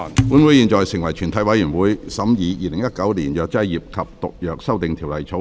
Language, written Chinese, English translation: Cantonese, 本會現在成為全體委員會，審議《2019年藥劑業及毒藥條例草案》。, This Council now becomes committee of the whole Council to consider the Pharmacy and Poisons Amendment Bill 2019